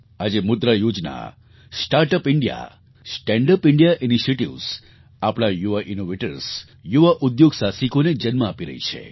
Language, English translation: Gujarati, Today our monetary policy, Start Up India, Stand Up India initiative have become seedbed for our young innovators and young entrepreneurs